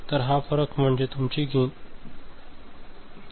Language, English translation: Marathi, So, this difference is your gain error